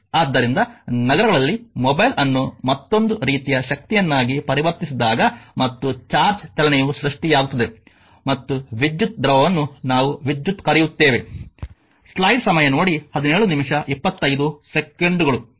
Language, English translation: Kannada, So, in cities mobile when it can be converted to another form of energy right and the motion of charge creates and electric your fluid we call it is current